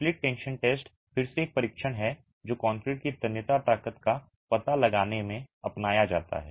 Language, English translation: Hindi, The split tension test again is a test that is adopted in finding out the tensile strength of concrete